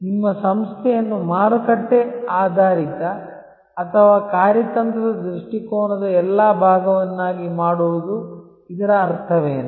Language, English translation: Kannada, What does it mean to make your organization market oriented or all part of the strategic orientation